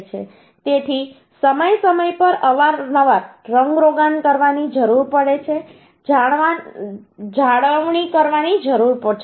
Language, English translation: Gujarati, So time to time, frequently, we need to make painting, we need to make maintenance